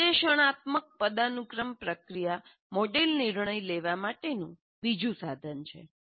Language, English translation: Gujarati, Analytic hierarchy process is another one, there is a tool based on that for decision making